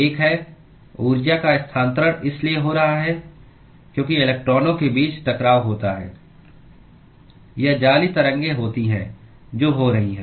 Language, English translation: Hindi, One is the energy is being transferred because there is collisions between the electrons or there is lattice waves which is happening